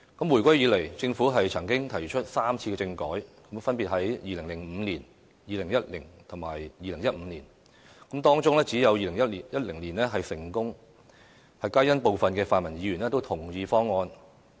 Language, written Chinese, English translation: Cantonese, 回歸以來，政府曾提出3次政改，分別是在2005年、2010年及2015年，當中只有2010年是成功的，皆因部分泛民議員都同意方案。, Since the reunification the Government has proposed constitutional reform for three times in 2005 2010 and 2015 respectively only the constitutional reform package in 2010 was successful because it was supported by the pan - democratic Members